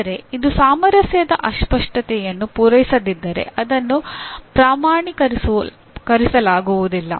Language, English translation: Kannada, But if it does not meet the harmonic distortion it will not be certified